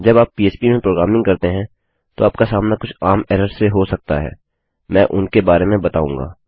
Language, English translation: Hindi, I will go through some of the common errors you might encounter when you are programming in PHP